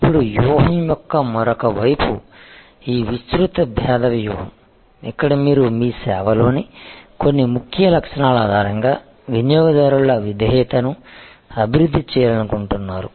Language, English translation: Telugu, Now, the other side of the strategy is this broad differentiation strategy, where you want to develop the customer loyalty based on some key features in your service